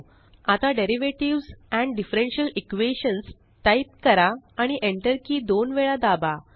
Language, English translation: Marathi, Now type Derivatives and Differential Equations: and press the Enter key twice